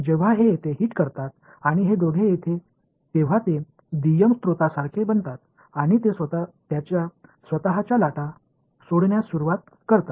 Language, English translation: Marathi, When it hits over here this and these two guys they become like secondary sources and they start emitting their own waves